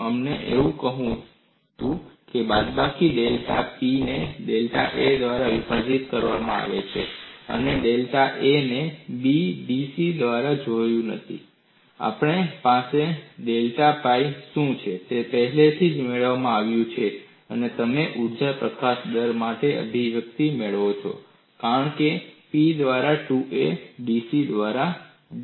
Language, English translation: Gujarati, We had that as minus delta pi divided by delta A, and delta A is nothing but B into da, and we have already derived what is delta pi, and you get the expression for energy release rate as P squared by 2 B dC by da